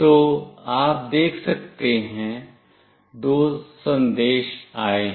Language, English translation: Hindi, So, you can see two messages have come